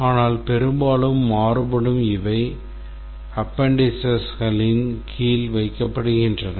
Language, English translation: Tamil, But often in variation to the standard, these are put under the appendix